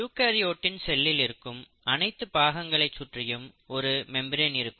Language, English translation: Tamil, Now each of these sections in a eukaryotic cell is surrounded by the membraned itself